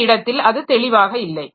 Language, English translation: Tamil, It is it is not very clear at this point